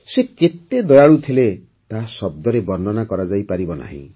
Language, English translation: Odia, The magnitude of her kindness cannot be summed up in words